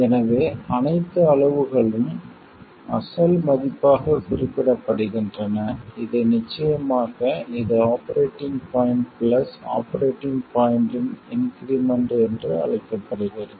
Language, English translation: Tamil, So, all quantities are represented as the original value which of course is called the operating point plus increments over the operating point